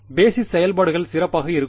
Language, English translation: Tamil, So, basis functions can be better